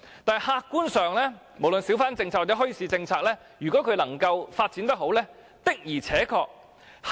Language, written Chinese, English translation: Cantonese, 但是客觀上，無論小販政策或墟市政策，若能夠好好發展，的確是有如此作用。, But objectively speaking if the hawker policy or the bazaar policy can be well developed it will really have such an effect